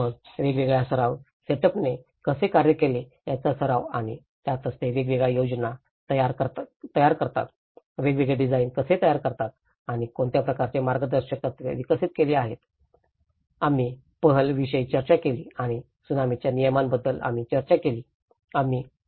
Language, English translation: Marathi, Then the practice how different practice setups have worked and that is where how they produce different plans, different designs and what kind of guidances it has developed, we discussed about PAHAL and we discussed about the tsunami regulations, we discussed with the GSDMA regulations like that